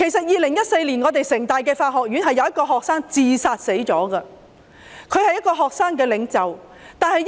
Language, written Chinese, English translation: Cantonese, 2014年，香港城市大學法學院有一位學生自殺身亡，他是一位學生領袖。, In 2014 a student of the School of Law of the City University of Hong Kong CityU committed suicide . He was a student leader